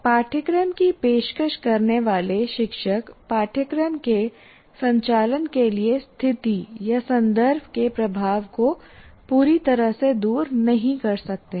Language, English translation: Hindi, So the teachers who offer courses cannot completely overcome the influence of the situation or the context to conduct the course